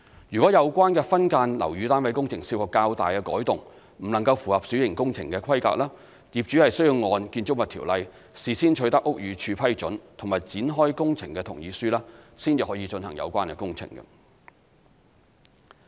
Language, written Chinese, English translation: Cantonese, 若有關分間樓宇單位工程涉及較大改動，不能符合小型工程的規格，業主需按《條例》事先取得屋宇署批准及展開工程同意書，方可進行有關工程。, If the works in subdivided units involve larger - scale alternations exceeding the scope of minor works the landlords must obtain approval and consent to commencement of works from BD in accordance with BO before the commencement of works